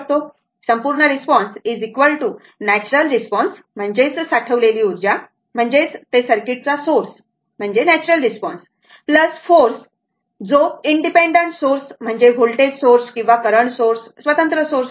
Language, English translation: Marathi, So, complete response is equal to natural response that is stored energy, that is your source the circuit that is the natural response we got plus forced, that is independent source may be voltage source or current source independent source, right